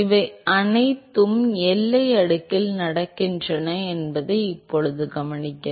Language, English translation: Tamil, Now note that all of these are happening in the boundary layer right